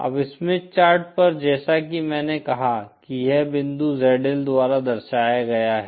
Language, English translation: Hindi, Now on the Smith Chart as I said this point is represented by this point ZL